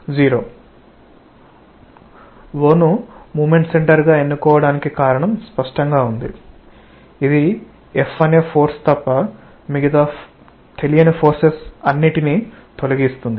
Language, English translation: Telugu, The reason of choice of o as moment center is obvious it eliminates all unknowns except the F that we are interested to find out